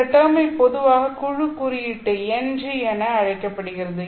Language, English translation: Tamil, This term is what is normally called as the group index NG